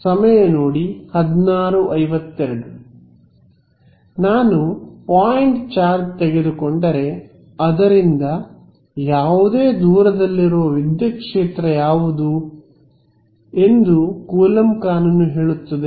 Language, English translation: Kannada, If I take if I take point charge what is the electric field far at any distance away from it Coulomb's law tells me